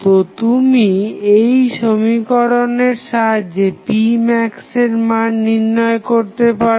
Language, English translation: Bengali, So, you apply this particular equation and find out the value of p max